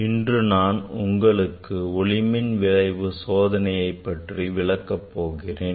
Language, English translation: Tamil, today I will demonstrate experiment on Photoelectric Effect